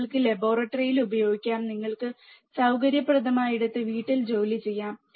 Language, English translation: Malayalam, You can use at laboratory, home you can work at home wherever you are comfortable